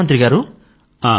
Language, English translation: Telugu, Prime Minister …